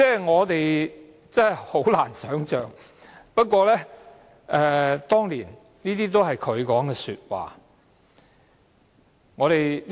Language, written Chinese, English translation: Cantonese, 我們真的難以想象，不過，這些都是她當年的言論。, It is hard to imagine but these were her remarks at the time